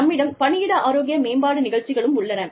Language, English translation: Tamil, We also have, workplace health promotion programs